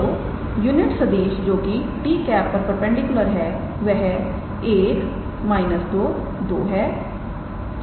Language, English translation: Hindi, So, the unit vector that is perpendicular to t is 1 minus 2 and 2